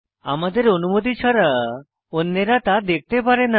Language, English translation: Bengali, Unless we permit, others cannot see them